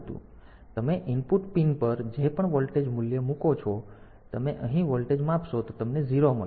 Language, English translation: Gujarati, So, whatever voltage value that you put at the input pin; so, if you measure the voltage here you will get a 0